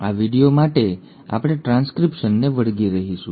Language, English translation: Gujarati, For this video we will stick to transcription